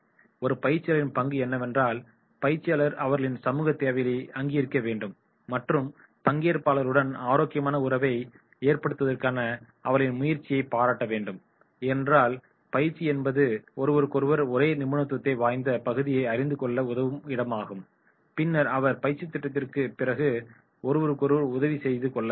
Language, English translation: Tamil, Role of a trainer is, trainer must recognise their social needs and even appreciate their efforts to establish healthy relationship with the participants because training is a place where people know each other of the same expertise area and then they can help each other after the training program also